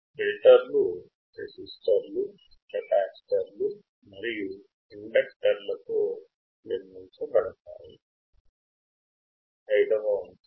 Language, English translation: Telugu, Filters are built with resistors, capacitors and inductors